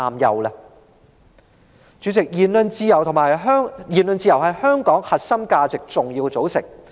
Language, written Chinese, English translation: Cantonese, 代理主席，言論自由是香港核心價值的重要組成部分。, Deputy President freedom of speech is an important component of Hong Kongs core values